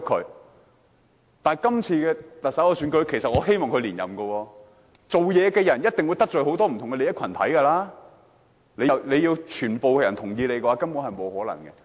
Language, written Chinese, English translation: Cantonese, 但是，對於今次特首選舉，其實我希望梁振英連任，因為做事的人一定會得罪很多不同利益群體，要獲得全部人認同，根本不可能。, However in the recent election of the Chief Executive I actually hoped that LEUNG Chun - ying could remain as the Chief Executive . The reason is that a person who tries to accomplish any task will surely offend groups with different interests and one simply cannot obtain the support of everyone